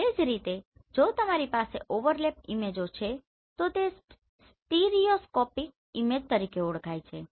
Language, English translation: Gujarati, So like that if you have the overalap images then they are known as stereoscopic imagery right